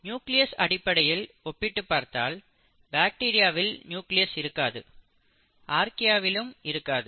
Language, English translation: Tamil, If you were to look at the nucleus, it is not present in bacteria, it is not present in Archaea